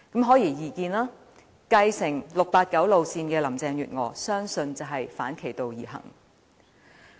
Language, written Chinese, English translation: Cantonese, 顯而易見，我相信繼承 "689" 路線的林鄭月娥會反其道而行。, One thing is clear I believe Carrie LAM who inherits the political line of 689 will do the very opposite